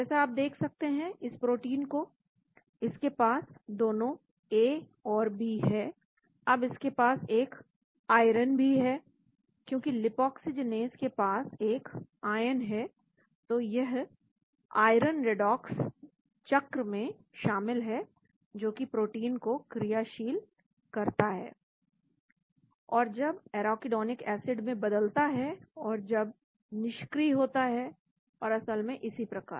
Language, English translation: Hindi, You can see this protein it got both the A and B, now it is also got an iron , because lipoxygenase has an ion, so the iron is involved in the redox cycle that activates the protein and when arachidonic acid by institute and gets converted, and gets deactivated and so on actually